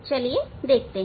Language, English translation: Hindi, Let us see